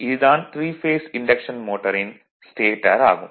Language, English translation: Tamil, So, this is starter of 3 phase induction motor